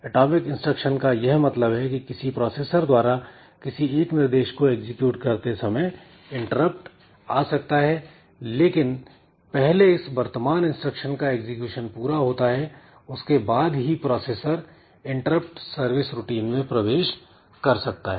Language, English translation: Hindi, So, what it means is that when a processor is executing a single instruction interrupt can come but the current executing instruction is completed first then only it goes into the interrupt service routine